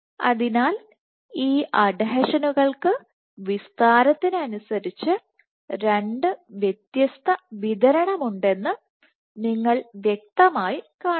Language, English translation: Malayalam, So, clearly you see that there is two different size distribution of these adhesions